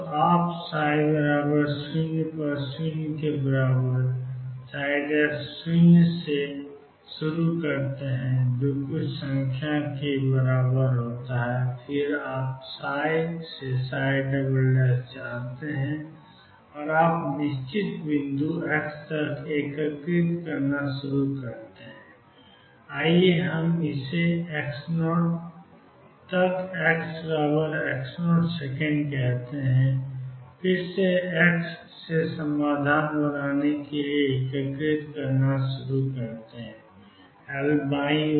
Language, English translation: Hindi, So, you start with psi 0 equal 0 psi prime 0 equals sum number and then you know psi double prime from psi and you start integrating out up to certain point x, let us call it x 0 up to x equals x 0 second start integrating again building up solution from x equals L to the left